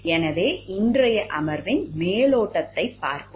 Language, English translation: Tamil, So, let us look into the overview of today’s session